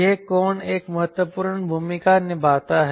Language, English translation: Hindi, this angle plays an important role